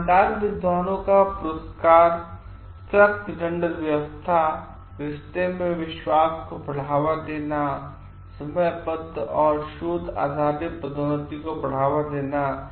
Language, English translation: Hindi, Awards to honest scholars, strict punishment regimes, fostering trust in relationship, fostering time bound and research based promotions